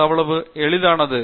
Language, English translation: Tamil, It is as simple as that